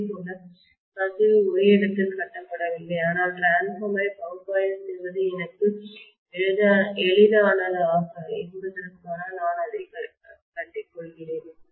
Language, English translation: Tamil, Similarly, the leakage is not lumped in one place, but I am just lumping it so that it is easier for me to analyse the transformer